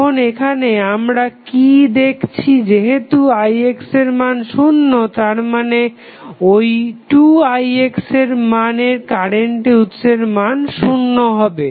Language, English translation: Bengali, Now, what we are seeing here, since Ix is equal to 0, that means, this current source that is 2Ix will also be equal to 0